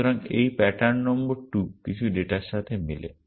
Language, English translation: Bengali, So, this pattern number 2 matches some data